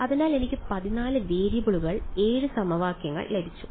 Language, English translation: Malayalam, So, I got 14 variables 7 equations